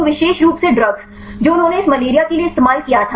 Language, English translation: Hindi, So, specifically the drugs they used for this malaria